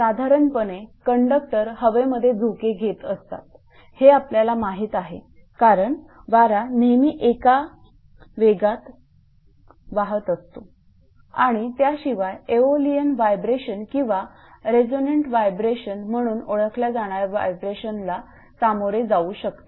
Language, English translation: Marathi, Generally, over it conductors will subject to normal swinging in wind, that we know right because, wind is always blowing at some speed right and apart from that may subject to vibration known as aeolian vibration, or resonant vibration right